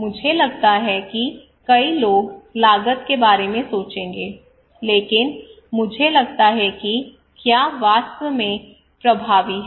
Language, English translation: Hindi, So the thing I will think not only cost many people think about the cost, but I will think also is it really effective